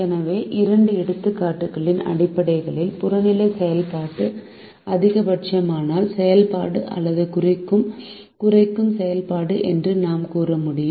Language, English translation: Tamil, so based on two examples, we will be able to say that the objective function is either a maximization function or minimization function